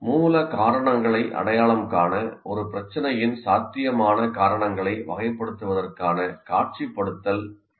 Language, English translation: Tamil, It is a visualization tools for categorizing potential causes of a problem in order to identify the root causes